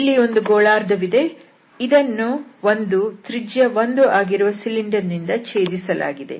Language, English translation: Kannada, So, by this cylinder, so there is a hemisphere which is cut by a cylinder and cylinder the radius is 1